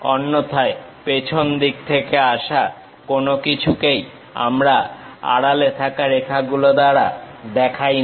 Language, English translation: Bengali, Otherwise, anything at back side we do not show it by hidden lines